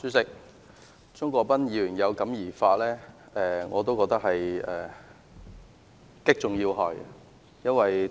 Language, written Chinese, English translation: Cantonese, 主席，鍾國斌議員有感而發，我也認為他擊中要害。, President I concur that Mr CHUNG Kwok - pan has hit the nail on the head when he expressed his feelings